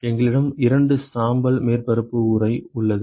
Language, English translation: Tamil, We have a two gray surface enclosure ok